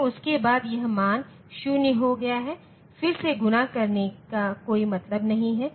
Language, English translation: Hindi, So, after that this value has become 0, there is no point doing the multiplication again